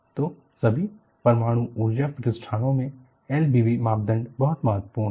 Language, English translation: Hindi, So, in all nuclear power installations, L V B criterion is very very important